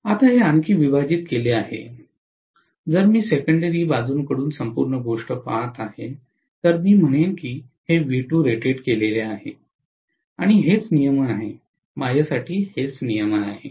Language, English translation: Marathi, Now this divided by, if I am looking at the whole thing from the secondary side I will say this is V2 rated, this is what is regulation, for me this is what is regulation